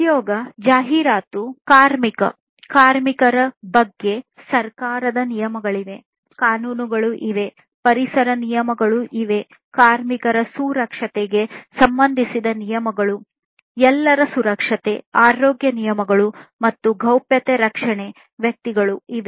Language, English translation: Kannada, So, there are government regulations concerning employment, advertisement, labor – labor laws are there, environmental regulations are there, regulations concerning the safety of the workers, safety of everyone, health regulations are there, and privacy protection of individuals